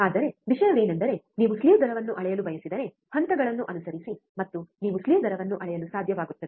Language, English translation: Kannada, But the point is, you if you want to measure slew rate follow the steps and you will be able to measure the slew rate